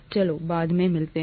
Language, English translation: Hindi, Let’s meet up later